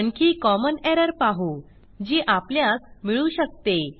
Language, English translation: Marathi, Now we will see another common error which we can come across